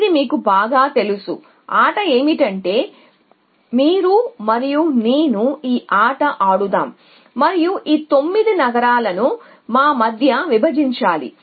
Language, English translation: Telugu, So, the game is that that say you and I playing this game and we have to divided this 9 cities between us